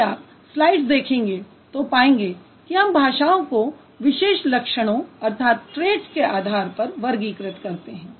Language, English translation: Hindi, So, if you look at the slides, it's we categorize languages according to a certain trait